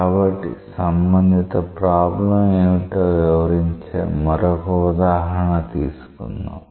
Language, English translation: Telugu, So, let us take another example that will illustrate that what is the corresponding problem